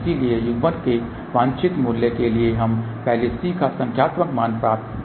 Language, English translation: Hindi, So, for the desired value of coupling we first find the numeric value of C